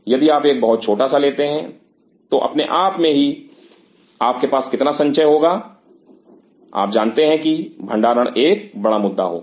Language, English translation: Hindi, If you take a very small one automatically you have a how much quantity you are you know storage will be big issue